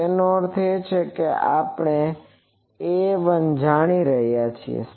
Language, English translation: Gujarati, So, from there we have so that means A we know